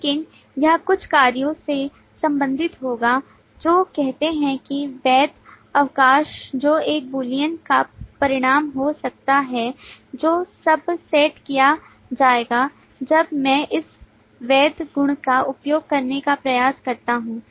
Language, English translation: Hindi, But this will relate to some operations, say validate leave, which can have the result of a Boolean which will be set when I try to access